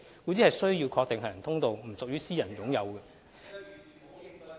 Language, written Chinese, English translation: Cantonese, 故此，需要確定行人通道並不屬於私人擁有......, Hence we must ensure that the walkways will not be privately owned